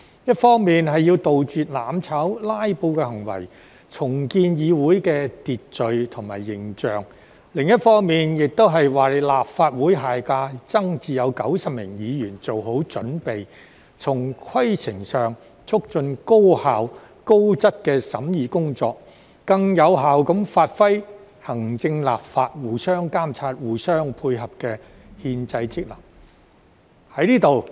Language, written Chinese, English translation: Cantonese, 一方面要杜絕"攬炒"、"拉布"的行為，重建議會的秩序及形象；另一方面，亦為下屆立法會增至90名議員做好準備，從規程上促進高效丶高質的審議工作，更有效地發揮行政、立法互相監察、互相配合的憲制職能。, This serves to on one hand eradicate acts of mutual destruction and filibustering to rebuild the order and image of the Council; and on the other prepare for the expansion of the Legislative Council in the next term to 90 Members by facilitating efficient and quality deliberation from the procedural perspective so that the constitutional functions of mutual monitoring and mutual complement between the administration and the legislature can be performed more effectively